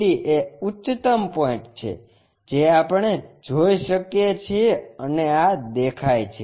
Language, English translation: Gujarati, ABCD is the highest points what we can see and these are visible